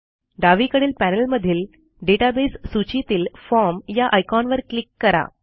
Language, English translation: Marathi, We will click on the Forms icon in the database list on the left panel